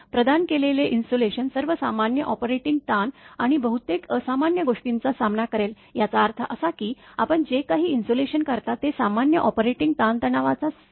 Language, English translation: Marathi, The assurance that the insulation provided will withstand all normal operating stresses, and the majority of abnormal ones; that means, whatever insulation you make that it will withstand the normal operating stresses right